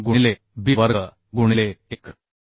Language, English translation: Marathi, 3 into b square right into 1